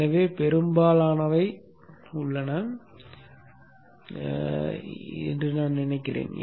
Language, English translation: Tamil, So I think we have most of them in place